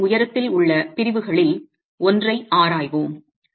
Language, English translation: Tamil, So, let's examine one of the sections along the height of the wall itself